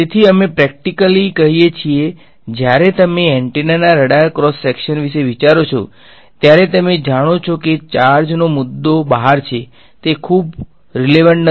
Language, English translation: Gujarati, So, we practically speaking when you think of antennas radar cross section of antennas you know the issue of charge is sitting out there is not very relevant ok